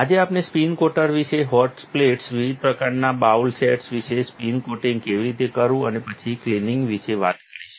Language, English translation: Gujarati, Today, we will be talking about the spin coater itself, the hot plates, different types of bowl sets, how to do the spin coating and the cleaning afterwards